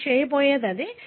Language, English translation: Telugu, That is what you are going to do